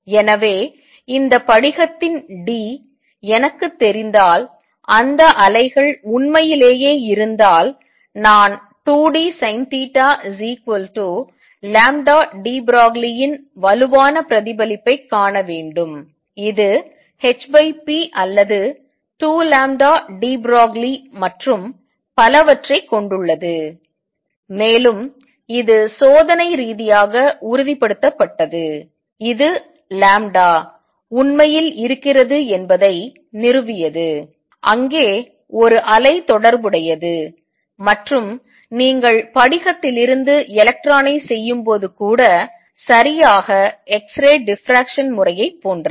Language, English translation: Tamil, So, if those waves really exist if I know d of this crystal, I should see a strong reflection of 2 d sin theta equals lambda de Broglie, which has h over p or 2 lambda d Broglie and so on and this was confirmed experimentally which established that lambda indeed is there, there is a wave associated and you see exactly x ray like diffraction pattern even when you do electron diffraction from crystal